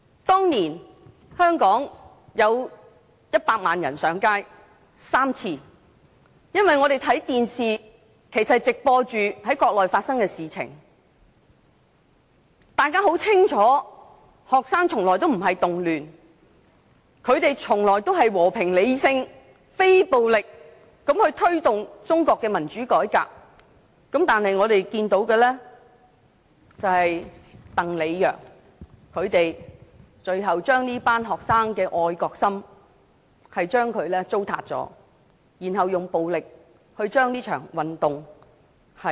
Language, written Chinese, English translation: Cantonese, 當年香港有100萬人上街3次，因為電視直播國內發生的事情，大家很清楚學生的運動從來不是動亂，只是和平、理性、非暴力的推動中國的民主改革，但我們看到的是，鄧、李、楊最後糟塌了這群學生的愛國心，並且用暴力結束了這場運動。, Back in 1989 there were three occasions on which 1 million people took to the streets in Hong Kong . As what happened on the Mainland was broadcast live on television the people knew that the student movement was never a disturbance . It was only an attempt to promote democratic reform in a peaceful rational and non - violent manner but DENG LI and YANG had broken the hearts of these patriotic students and violently put an end to the movement